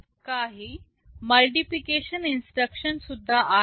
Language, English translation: Marathi, There are some multiplication instructions also